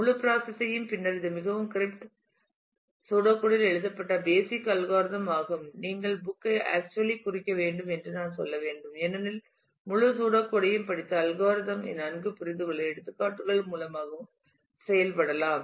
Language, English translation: Tamil, The whole process and then this is the basic algorithm written in a very cryptic pseudocode, I should say you should refer to the book actually to, for and study the whole pseudocode to understand the algorithm better and work through examples as well